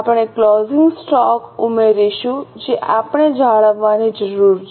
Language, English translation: Gujarati, We will add the closing stock which we need to maintain